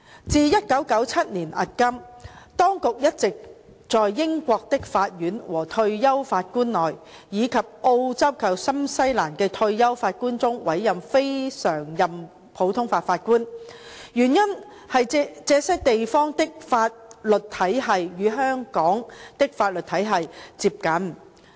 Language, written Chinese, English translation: Cantonese, 自1997年迄今，當局一直在英國的法官和退休法官，以及澳洲及新西蘭的退休法官中委任非常任普通法法官，原因是這些地方的法律體系與香港的法律體系最接近。, Since 1997 CLNPJs have been appointed from among Judges and retired Judges in the United Kingdom and retired Judges from Australia and New Zealand because the legal systems of these places have the closest affinity to that in Hong Kong